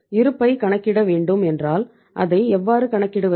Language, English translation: Tamil, If we have to work out the balance, how to calculate out the balance